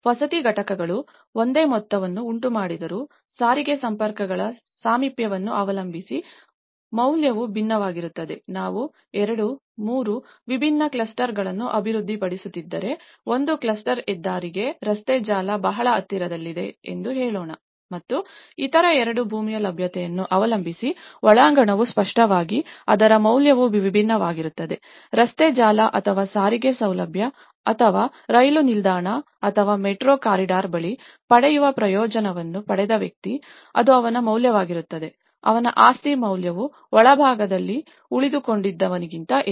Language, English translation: Kannada, Though the housing units cause the same amount but the value differs depending on the proximity of transport links imagine, if we are developing 2, 3 different clusters let’s say one cluster is very close to the highway, the road network and the other two are much interior depending on the land availability so obviously, it value differs so, the person who got a benefit of getting near the road network or the transport facility or a railway station or a metro corridor, so it will be his value; his property value is more higher than the one who was staying in the interiors